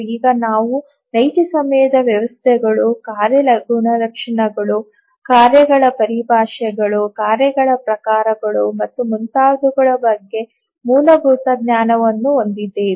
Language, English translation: Kannada, Now that we have some basic knowledge on the real time systems, the task characteristics, terminologies of tasks, types of tasks and so on